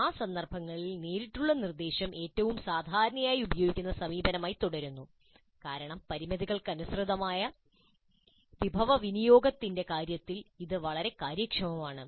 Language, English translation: Malayalam, In that context, direct instruction continues to be the most commonly used approach because it is quite efficient in terms of resource utilization under these given constraints